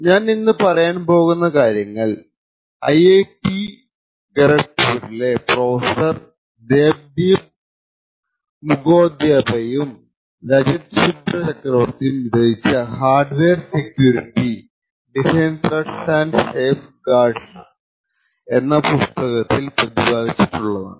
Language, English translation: Malayalam, A lot of what I am going to be talking about is present in this book hardware security, design threats and safeguards by Professor Debdeep Mukhopadhyay and Rajat Subhra Chakravarthy from IIT Kharagpur